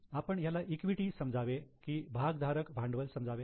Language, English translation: Marathi, Shall we consider it as an equity or shareholders funds